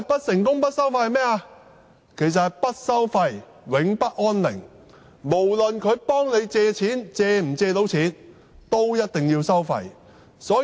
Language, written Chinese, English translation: Cantonese, 就是不收費，永不安寧，不論能否成功協助市民借貸，他們也一定要收費。, It means that the borrower will not find peace till they pay the fees for these companies will surely charge the fees whether or not they can help the borrower to obtain the loan